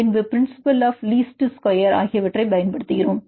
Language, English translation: Tamil, Then we use the principle of least squares